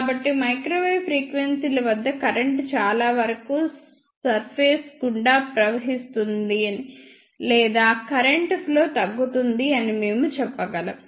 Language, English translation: Telugu, So, we can say that at microwave frequencies most of the current flows through the surface or we can say effective area for current flow decreases